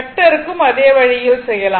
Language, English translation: Tamil, The way you do vector same way you do here also